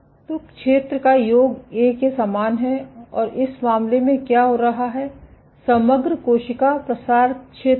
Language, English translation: Hindi, So, that summation of area is same as A and in this case, what is happening, is the overall cell spread area